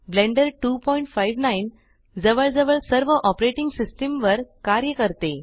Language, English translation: Marathi, Blender 2.59 works on nearly all operating systems